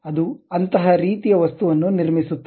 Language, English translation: Kannada, It constructs such kind of object